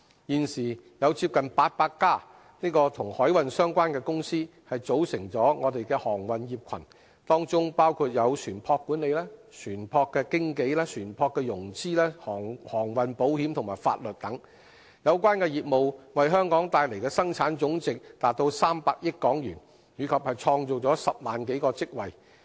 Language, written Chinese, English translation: Cantonese, 現時有接近800間與海運相關的公司組成航運業群，當中包括船舶管理、船舶經紀、船舶融資、航運保險及法律等，有關業務為香港帶來的生產總值達300億港元，以及創造10萬多個職位。, There are now nearly 800 companies engaging in maritime - related businesses establishing a maritime industry cluster covering ship management ship broking ship finance marine insurance maritime law and so on . Such businesses have contributed HK30 billion to our Gross Domestic Product and created over 100 000 jobs